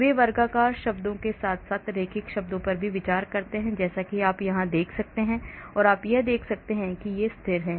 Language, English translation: Hindi, they consider square terms as well as linear terms as you can see here and you can see these are constant